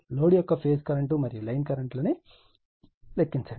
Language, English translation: Telugu, Calculate that phase currents of the load angle and the line currents right